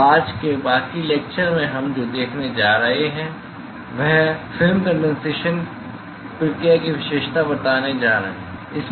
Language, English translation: Hindi, So, what we are going to see in today's lecture is going to characterize this film condensation process